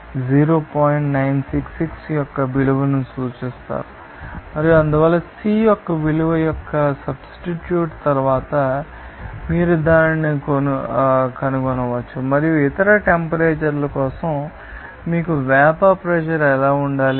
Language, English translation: Telugu, 966 and therefore, then you can find it out after a substitution of value of C and then for other temperature what should be that you know vapor pressure